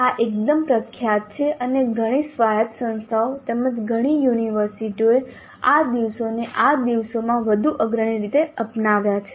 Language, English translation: Gujarati, This is fairly popular and many autonomous institutes as well as many universities have adopted this type much more prominently these days